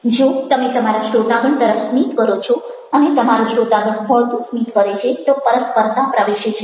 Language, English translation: Gujarati, if you are smiling at your audience and your audience smiles back, then what happens is that reciprocity is a introduced